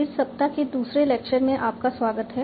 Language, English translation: Hindi, So, welcome to the second lecture of this week